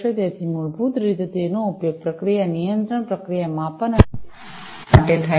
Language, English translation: Gujarati, So, basically it is used for process control, process measurement and so on